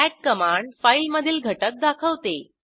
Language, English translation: Marathi, cat command will display the content of the file